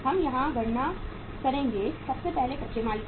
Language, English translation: Hindi, We will calculate here as number 1 is that is raw material